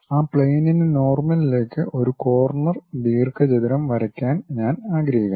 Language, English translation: Malayalam, Now, on that frontal plane, I would like to draw a corner rectangle